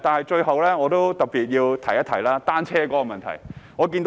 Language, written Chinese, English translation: Cantonese, 最後，我特別提及單車的問題。, Finally I would specifically mention the problem of bicycles